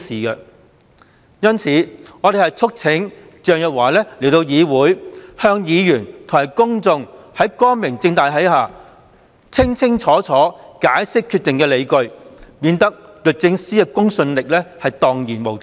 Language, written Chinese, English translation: Cantonese, 因此，我們促請鄭若驊到議會席前，光明正大地向議員和公眾解釋清楚決定的理據，以免律政司的公信力蕩然無存。, For all these reasons we urge Teresa CHENG to attend before this Council to give Members and people a clear account in broad daylight on the grounds for her decision so as to avoid shattering DoJs credibility